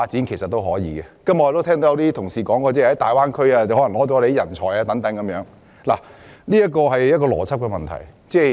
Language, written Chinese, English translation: Cantonese, 今天我聽到很多同事提到粵港澳大灣區搶走香港人才的問題，當中其實牽涉一個邏輯問題。, Today I have heard many Honourable colleagues say that the development of the Guangdong - Hong Kong - Macao Greater Bay Area will drain our talents . This view involves a logical issue